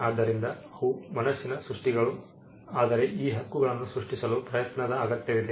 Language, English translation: Kannada, So, they are creations of the mind, but it requires an effort to create these rights